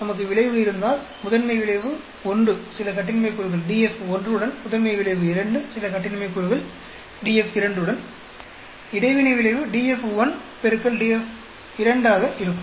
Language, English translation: Tamil, If we have the effect, principal effect 1 with certain degrees of freedom DF 1, principal effect 2 certain degrees of freedom DF 2, the interaction effect will be DF 1 into DF 2